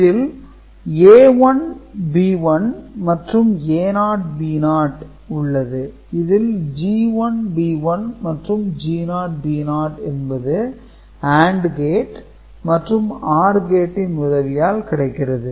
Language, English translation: Tamil, So, this is your A 1 B 1 and this A naught B naught and this is G 1 P 1 and G naught P naught are getting generated by AND gate, OR gate, and AND gate, OR gate –ok